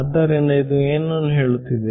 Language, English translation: Kannada, So, what is it saying